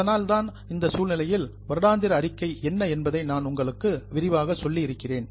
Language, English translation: Tamil, That's why in this session I have told you what is annual report